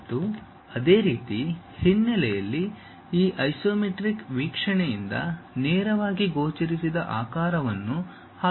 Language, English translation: Kannada, And, similarly at background there might be a shape which is passing through that which is not directly visible from this isometric view